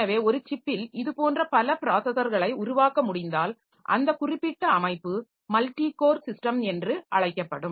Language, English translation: Tamil, So, that is so that way if I can have multiple such processors built onto a single chip, so that particular system so they will be called multi core system